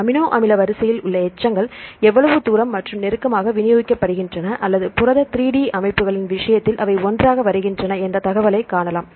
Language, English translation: Tamil, So, you can see the information that how far the residues in the amino acid sequence are distributed very far away and close or they come together in the case of protein 3D structures right